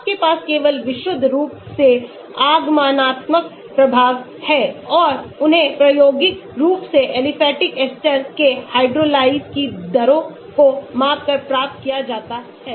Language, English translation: Hindi, you have only purely inductive effects and they are obtained experimentally by measuring the rates of hydrolyses of aliphatic esters